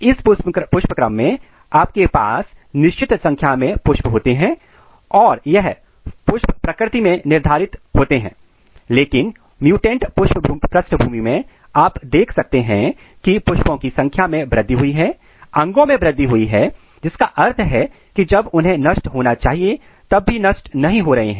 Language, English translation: Hindi, In this inflorescence you have a certain number of flowers and this flowers are determinate in nature, but in the mutant background you can see that the number of flowers are increased, organs are increased which means that they are not being terminated when they are supposed to be this is a case of loss of determinacy